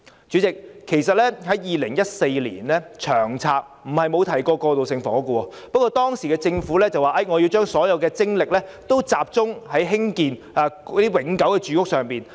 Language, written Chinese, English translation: Cantonese, 主席 ，2014 年的《長策》並非沒有提及過渡性房屋，不過當時的政府說要把所有精力集中興建永久住屋。, President it is not that the 2014 LTHS has not mentioned transitional housing but the Government in office then said that all efforts should be focused on building permanent housing